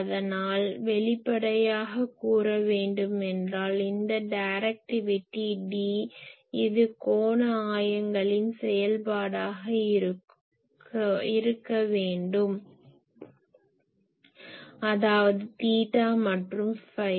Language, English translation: Tamil, So; obviously, this directivity D , this should be a function of the angular coordinates ; that means, theta and phi